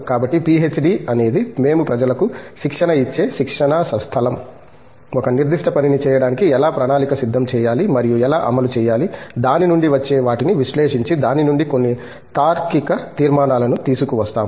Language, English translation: Telugu, So, PhD is a training ground where we train people, how to plan a certain work and execute it, analyze what comes out of it and then bring out some logical conclusions out of it